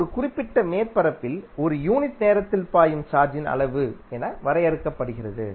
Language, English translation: Tamil, So, it means that the amount of charge is flowing across a particular surface in a unit time